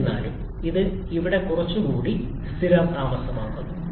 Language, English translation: Malayalam, However, it settles down quite a bit in here